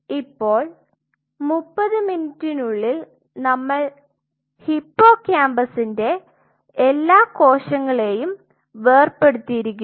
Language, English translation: Malayalam, Now at 30 minutes we dissociated all the cells of hippocampus